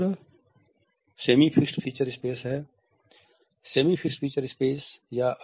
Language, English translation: Hindi, The second is the semi fixed feature space